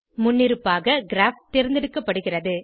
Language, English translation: Tamil, By default, Graph is selected